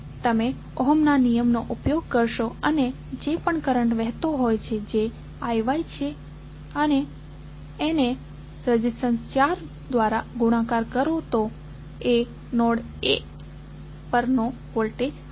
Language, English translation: Gujarati, You will use Ohm's law and whatever the current is flowing that is I Y and multiplied by the resistance 4 would be the voltage at node A